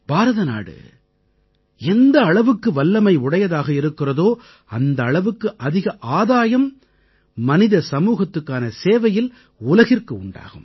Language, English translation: Tamil, The more India is capable, the more will she serve humanity; correspondingly the world will benefit more